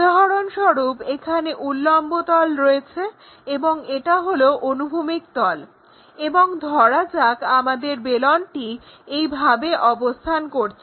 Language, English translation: Bengali, For example, here we have this vertical plane and this is the horizontal plane and our cylinder perhaps resting in that way